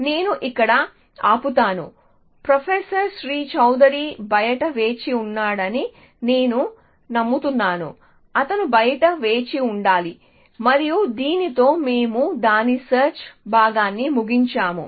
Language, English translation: Telugu, So, I will stop here, I believe professor Shri Chaudary is waiting outside, He should be waiting outside and with this we will end the search part of it